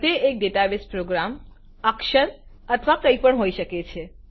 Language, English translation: Gujarati, It can be a database, a program, a letter or anything